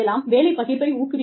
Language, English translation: Tamil, You could, encourage job sharing